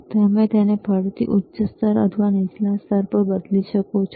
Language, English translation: Gujarati, And you can again change it to high level or low level